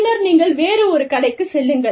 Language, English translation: Tamil, And then, you go to one shop